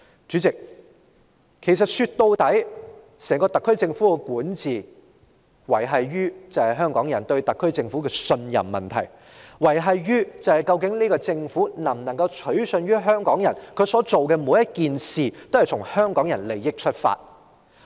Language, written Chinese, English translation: Cantonese, 主席，說到底，整個特區政府的管治，是維繫於香港人對特區政府的信任，維繫於究竟這個政府能否取信於香港人，它所做的每一件事是否均從香港人的利益出發。, President after all the governance of the SAR Government as a whole hinges on the trust of the people of Hong Kong in the SAR Government and whether the Government can convince the people of Hong Kong that every action it takes is in the interest of the people of Hong Kong